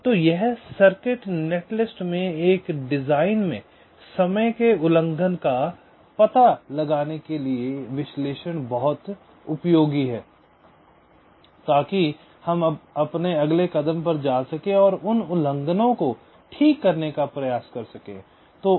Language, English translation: Hindi, so this the analysis is very useful to detect timing violations in a design, in a circuit net list, so that we can move to the next step and try to correct those violations